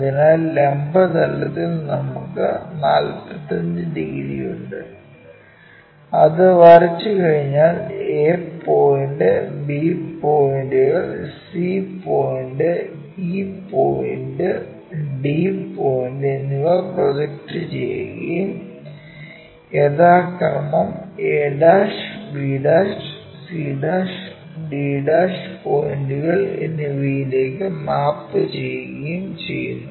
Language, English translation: Malayalam, So, on the vertical plane we have that 45 degrees after drawing that we project the complete points from a point map there, b point, c point, e point and d point these are mapped to respectively a' points, c', e' points, d', e' points